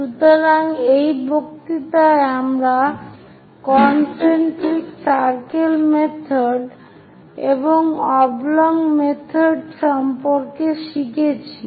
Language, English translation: Bengali, So, in this lecture, we have learned about concentric circle method and oblong method